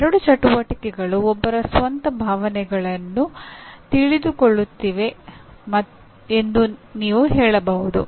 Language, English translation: Kannada, You can say these two activities are knowing one’s own emotions